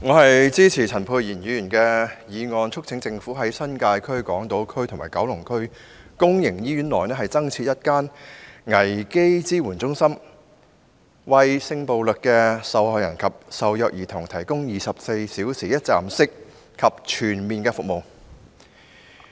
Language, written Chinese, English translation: Cantonese, 我支持陳沛然議員的原議案，促請政府在新界區、港島區及九龍區公營醫院內各增設一間危機支援中心，為性暴力受害人及受虐兒童提供24小時一站式和全面服務。, I support Dr Pierre CHANs original motion on urging the Government to set up a crisis support centre in every public hospital in the New Territories Hong Kong Island and Kowloon to provide one - stop and comprehensive services to sexual violence victims and abused children on a 24 - hour basis